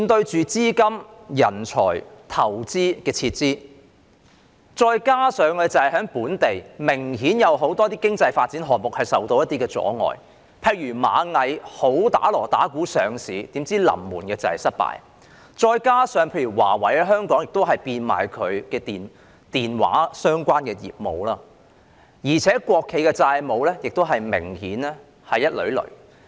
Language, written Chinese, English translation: Cantonese, 資金、人才、投資撤離，加上本地明顯有很多經濟發展項目受到阻礙，例如螞蟻集團大張旗鼓準備上市但臨門失敗，華為技術有限公司亦在香港變賣其電話相關業務，而且國企明顯債務累累。, Capital talent and investments are flowing out and many local economic development projects have been obviously impeded . For example the Ant Groups much publicized attempt to go public failed at the very last minute Huawei Technologies Company Limited is also selling off its phone - related business in Hong Kong and state - owned enterprises are obviously heavily indebted